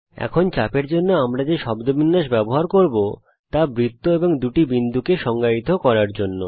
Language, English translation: Bengali, The syntax that we will use for arc now is to define the circle and the two points